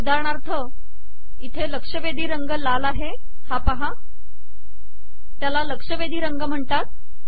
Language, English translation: Marathi, For example, here the alerted color is red, this is known as alerted color